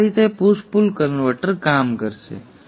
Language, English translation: Gujarati, So this is how the push pull converter will operate